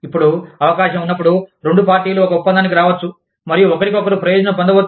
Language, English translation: Telugu, Now, when there is a chance, that both parties can come to an agreement, and benefit each other